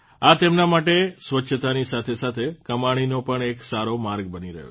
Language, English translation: Gujarati, This is becoming a good source of income for them along with ensuring cleanliness